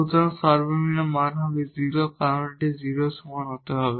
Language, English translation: Bengali, So, the minimum value will be a 0, because it has to be greater than equal to 0